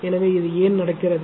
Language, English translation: Tamil, So, why this is happening